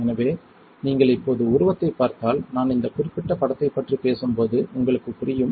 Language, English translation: Tamil, So, if you now see the figure you will understand that when I am talking about this particular image